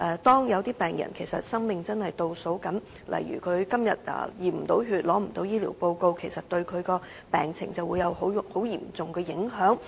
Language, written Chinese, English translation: Cantonese, 當有病人的生命正在倒數，如果他今天無法驗血、無法獲得醫療報告，這會對其病情造成嚴重影響。, The failure of a patient whose days are counting down to receive a blood test or his medical report today will have serious impacts on his medical conditions